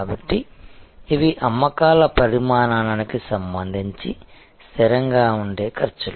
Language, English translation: Telugu, So, these are costs, which are fixed with respect to the volume of sales